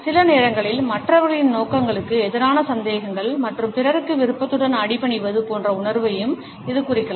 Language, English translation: Tamil, Sometimes, it may also mean contempt a suspicions towards the motives of the other people as well as a feeling of willingly submitting to others